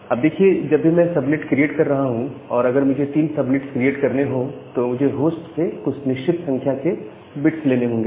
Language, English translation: Hindi, Now, whenever I am creating the subnet, if I have to create three subnets, I have to take certain number of bits from the host